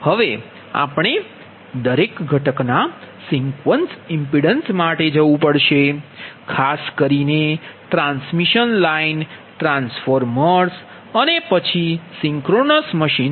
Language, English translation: Gujarati, so that is now we have to go for sequence impedance of each component, particularly the transmission line, transformers, then synchronous machine